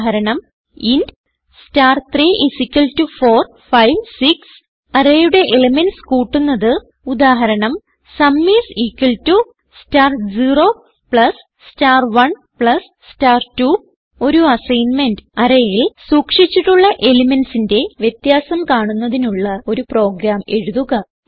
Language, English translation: Malayalam, example int star[3]={4, 5, 6} To add the element of the array, example sum is equal to star 0 plus star 1 plus star 2 As an assignment, Write a program to calculate the difference of the elements stored in an array